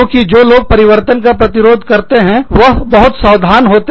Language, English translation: Hindi, Because, people, who are resistant to change, will be more cautious